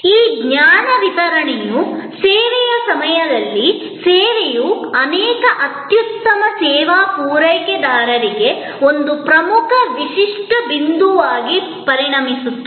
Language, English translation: Kannada, This knowledge delivery, before the service during the service becomes an important distinctive point for many excellent service providers